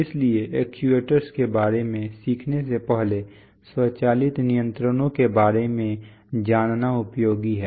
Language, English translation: Hindi, So it is useful to learn about automatic controls before learning about actuators